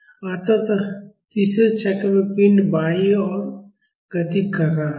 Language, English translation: Hindi, So, in the third cycle, the body was moving towards left